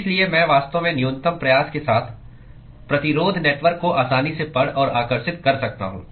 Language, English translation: Hindi, So, I can easily read out and draw the resistance network with really minimal effort